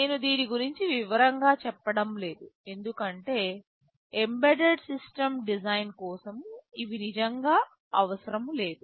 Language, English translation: Telugu, I am not going into detail of this because for an embedded system design, these are not really required